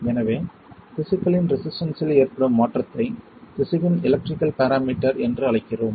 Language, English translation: Tamil, So, the change in the resistance of the tissue we call as electrical parameters of the tissue